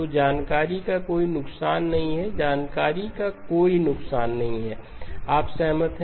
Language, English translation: Hindi, So there is no loss of information, no loss of information, you agree